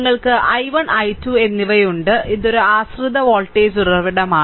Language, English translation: Malayalam, And you have i 1 and i 2 and this is a this is a dependent voltage source